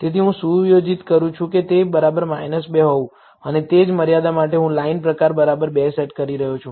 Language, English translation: Gujarati, So, I am setting that to be equal to minus 2 and for the same limit I am setting the line type to be equal to 2